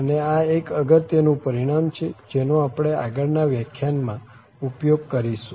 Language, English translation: Gujarati, So, this is a very important result which will be used in the next lecture